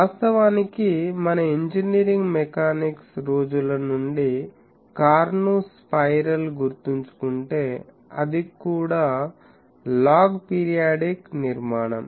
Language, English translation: Telugu, Actually if we remember the cornu spiral from our engineering mechanics days, that is also a log periodic structure